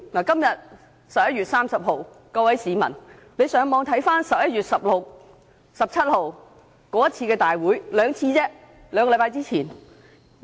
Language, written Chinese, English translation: Cantonese, 今天是11月30日，各位市民可上網翻看11月15日及16日那次會議的過程。, Today is 30 November and members of the public can have a playback of the video recordings on the Internet of the Council meetings on 15 and 16 November